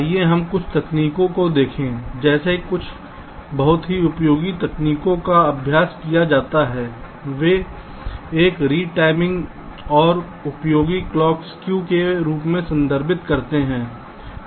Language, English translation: Hindi, lets see some of the techniques, like a couple of ah very useful techniques which are practiced they refer to as a retiming and useful clock skew